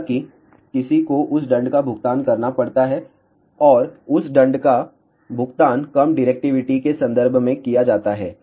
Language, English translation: Hindi, However, 1 has to pay the penalty for that and that penalty is paid in terms of reduced directivity